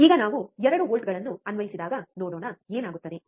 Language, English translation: Kannada, Now, let us see when we applied 2 volts, what happens